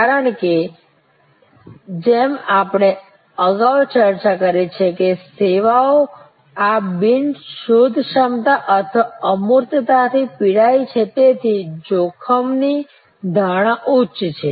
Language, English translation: Gujarati, Because, as we have discussed earlier services suffer from this non searchability or abstractness therefore, there is a higher degree of risk perception